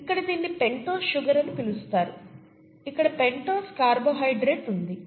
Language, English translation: Telugu, You have what is called a pentose sugar here, a pentose carbohydrate here